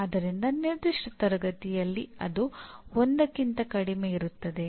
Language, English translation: Kannada, So anything in a given class obviously it will be less than 1